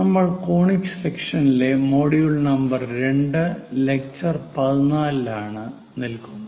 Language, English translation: Malayalam, We are in module number 2, lecture number 14 on Conic Sections